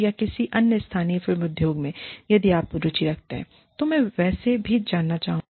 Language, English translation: Hindi, And, or, any other local film industry, if you are interested, I would like to know, anyway